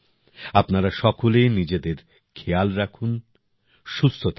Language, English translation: Bengali, You all take care of yourself, stay healthy